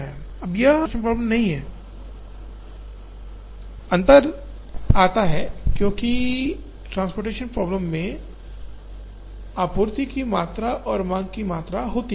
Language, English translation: Hindi, Now, this is not exactly a transportation problem, the difference comes, because in the transportation problem, there is a supply quantity and there is a demand quantity